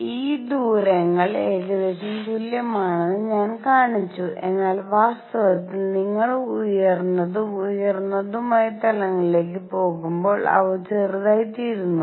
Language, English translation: Malayalam, These distances I have shown to be roughly equal, but in reality as you go to higher and higher levels, they become smaller